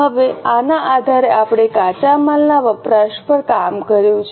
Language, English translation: Gujarati, Now based on this we have worked out the raw material consumption